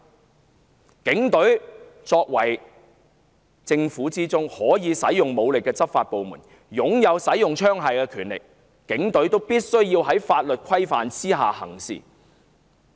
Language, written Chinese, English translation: Cantonese, 他強調，警隊是政府的執行部門，擁有使用槍械的權力，警隊必須在法律規範之下行事。, He stressed that the Police Force as an executive arm of the Government equipped with powers to use firearms need to act within the law